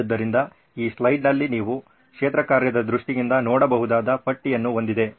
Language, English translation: Kannada, So this slide has a list that you can look at in terms of field work